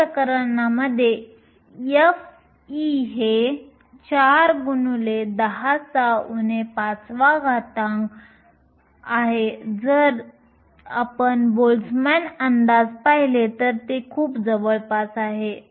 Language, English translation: Marathi, In this case f of e is 4 times 10 to the minus 5 and if you look at the Boltzmann approximation it is very close